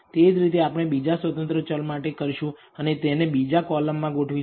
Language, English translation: Gujarati, Similarly we do this for the second independent variable and arrange it in the second column